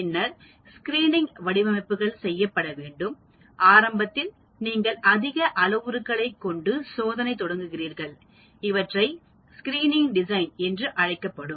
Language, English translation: Tamil, Then there is something called Screening designs; that is initially you start looking at a large number of parameters and carry out experiments, that is called Screening designs